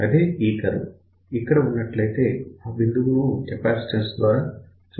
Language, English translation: Telugu, Suppose if this curve was somewhere here, then that point over here can be realized by a simple capacitance